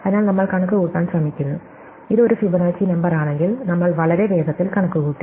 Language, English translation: Malayalam, So, we are trying to compute, if this is a Fibonacci number we computed very fast